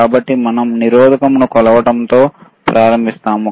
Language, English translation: Telugu, So, we will start with measuring the resistor